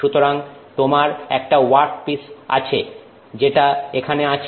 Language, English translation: Bengali, So, it is you have a workpiece which is what is here